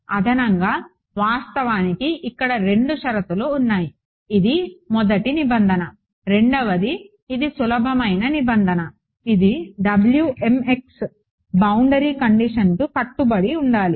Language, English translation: Telugu, In addition I was actually right there are two conditions, this is the first requirement second is the easier requirement which is that Wmx must obey the boundary conditions